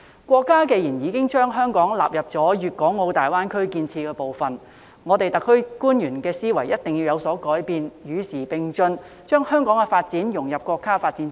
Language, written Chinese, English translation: Cantonese, 國家既然已將香港納入粵港澳大灣區建設部分，香港特區官員的思維一定要有所改變，與時並進，將香港的發展融入國家發展之中。, Since the country has included Hong Kong in the GBA development officials of the SAR Government must change their mindset keep abreast with the times and integrate Hong Kongs development into the countrys development